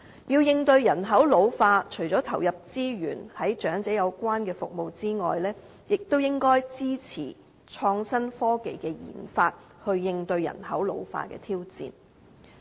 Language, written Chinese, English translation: Cantonese, 要應對人口老化，除了投入資源提供長者有關的服務之外，也應該支持創新科技的研發，應對人口老化的挑戰。, Besides adding more resources on elderly - related services we should also support the study of innovation and technology as a means to deal with population ageing